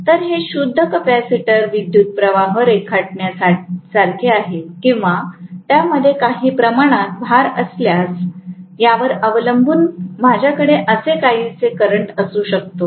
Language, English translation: Marathi, So it is like a pure capacitor drawing a current or if it is having some amount of load, then I may have a current somewhat like this, depending upon